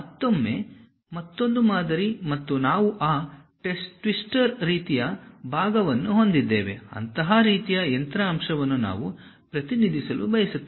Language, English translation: Kannada, And again another pattern and we have that twister kind of portion, such kind of machine element we would like to really represent